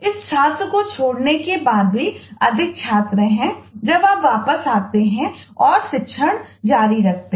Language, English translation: Hindi, even after this student has dropped, there are more student when you come back and continue